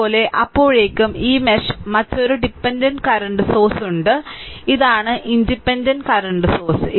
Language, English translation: Malayalam, Similarly, between these mesh and these mesh, another dependent current source is there, this is independent current source this is